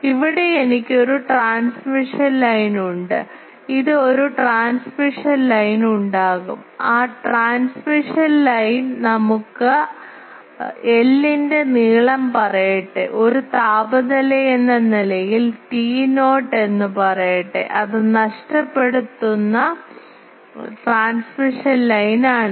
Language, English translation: Malayalam, Here I have a transmission line there is this there will be a transmission line, that transmission line let us say length of l and that as a temperature let us say T not it is lossy transmission line